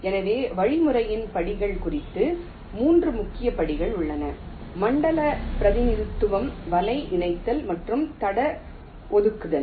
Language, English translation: Tamil, ok, so, regarding the steps of the algorithm, there are three main steps: zone representation, net merging and track assignment